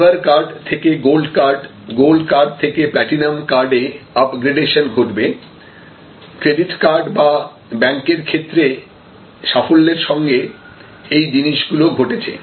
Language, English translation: Bengali, So, if you have a gold card and if you have a silver card, then you go to a gold card, if you have a gold card, then you go to a platinum card and the same thing has happened in credit card or banks quite successfully